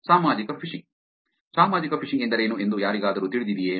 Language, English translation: Kannada, Social Phishing; does anybody know what social phishing is